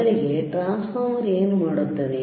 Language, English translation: Kannada, First, transformer what it will transformer do